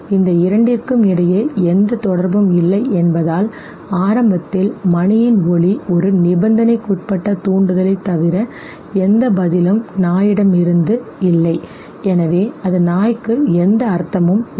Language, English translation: Tamil, It has there is no association between the two, so initially sound of the bell is nothing but a conditioned stimulus but it leads to no response therefore it has no meaning for the dog